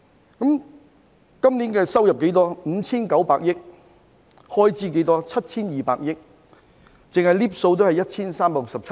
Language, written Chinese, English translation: Cantonese, 香港今年收入 5,900 億元，開支 7,200 億元，兩者相差 1,367 億元。, This year the revenue of Hong Kong is 590 billion and its expenditure is 720 billion with a difference of 136.7 billion